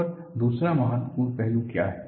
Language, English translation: Hindi, And what is the other important aspect